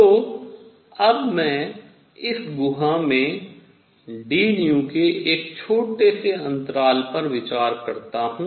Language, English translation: Hindi, So, now I consider in this cavity a small interval of d nu